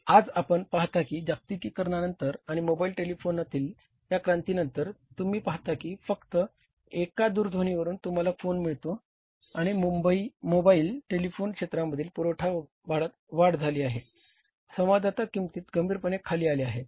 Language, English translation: Marathi, Today you see that after globalization and this revolution in the mobile telephony you see that just on a phone call you get the phone and it is because of the increase in the supply in the mobile telephony sector your prices of the communication have seriously come down